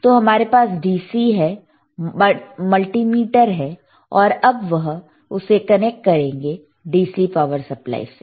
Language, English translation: Hindi, So, we have the DC we have the multimeter here, and he will connect it to the DC power supply